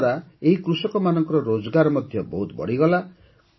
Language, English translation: Odia, This has also enhanced the income of these farmers a lot